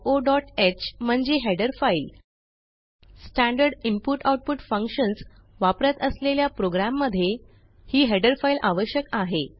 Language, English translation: Marathi, h stdio.h is a header file A program must contain this header file when it uses standard input/output functions Now press Enter